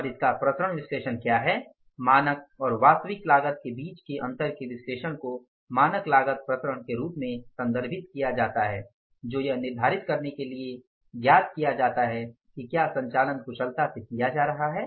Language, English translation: Hindi, Analysis of the difference between standard and actual cost referred to as a standard cost variance which are worked out to determine if operations are being performed efficiently